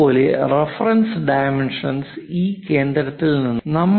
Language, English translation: Malayalam, Similarly, the reference is this center is at 80 mm from this